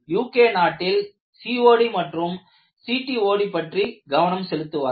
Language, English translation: Tamil, In the UK, they were talking about COD and CTOD